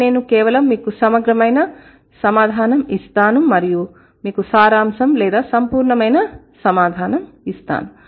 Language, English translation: Telugu, But what I will do, I will just give you a comprehensive answer and I will give you a summarized or the totalitarian answer